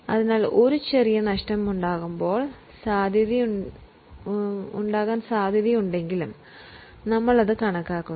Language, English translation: Malayalam, So, even if there is a slight possibility of a loss, we account for it